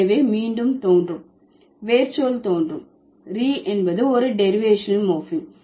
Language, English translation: Tamil, So, reappear is the root word and re is the reason is a derivational morphem